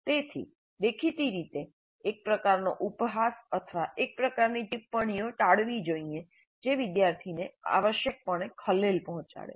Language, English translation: Gujarati, So obviously a kind of ridiculing or the kind of comments which essentially disturb the student should be avoided